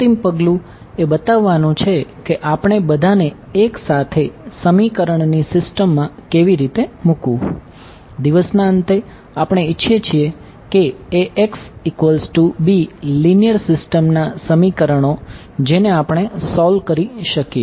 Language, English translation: Gujarati, The final step is to show you how to put it all together into a system of equations, at the end of the day we want to Ax is equal to b linear system of equations which we can solve ok